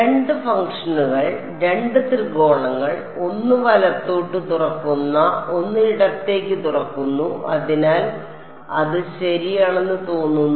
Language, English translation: Malayalam, Two functions, two triangles, one opening to the right one opening to the left; so, it is going to look like correct